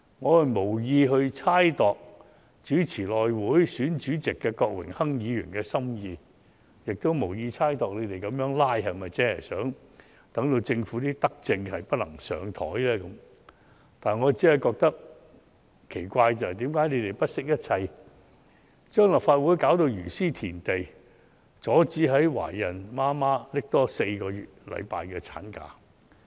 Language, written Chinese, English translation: Cantonese, 我無意猜度主持內務委員會主席選舉的郭榮鏗議員的心意，也無意猜度他們如此"拉布"的目的，是否要令政府的德政無法"放上檯"，我只是感到奇怪，為何他們不惜一切，將立法會弄致如斯田地，阻止在職懷孕母親多放取4星期產假呢？, I have no intention to speculate about the motive of Mr Dennis KWOK the very Member who chairs the election of the House Committee Chairman or whether their filibustering is intended to bar the Government from tabling this benevolent measure only that I am puzzled as to why they have to plunge the Legislative Council into such a miserable state at all costs and bar pregnant working mothers from enjoying an additional four weeks of maternity leave